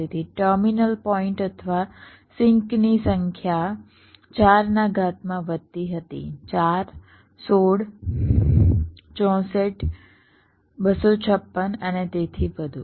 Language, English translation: Gujarati, so number of terminal points or sinks grew as a power of four, four, sixteen, sixty four, two, fifty, six and so on